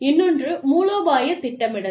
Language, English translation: Tamil, Strategic planning is another one